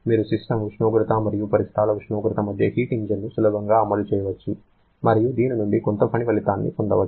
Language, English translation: Telugu, You can easily run a heat engine between the system temperature and surrounding temperature and get some work output from this